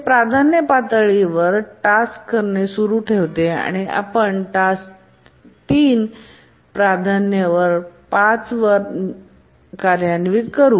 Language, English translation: Marathi, It continues to operate at the priority level 2 and let's say a priority 5 task T3 executes